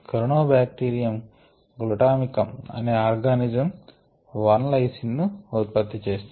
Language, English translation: Telugu, corynebacterium glutamicum, which is an organism this produces a lysine